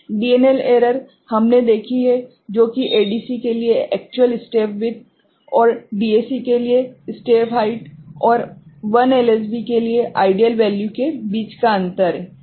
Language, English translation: Hindi, DNL error we have seen is the difference between actual step width for an ADC and step height for DAC and the ideal value for 1 LSB ok